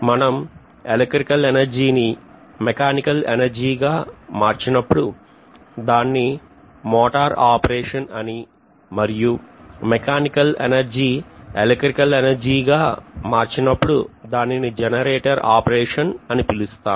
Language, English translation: Telugu, So when this is being done if electrical energy is converted into mechanical energy it is going to be motoring operation on one side whereas if I am going to do from mechanical energy to electrical energy this is known as generator operation